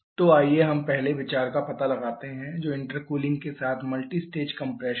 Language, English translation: Hindi, So, let us explore the first idea which is multistage compression with intercooling